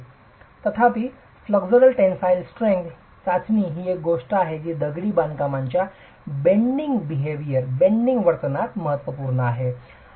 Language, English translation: Marathi, However, the flexual tensile strength test is something that is of significance in bending behavior of masonry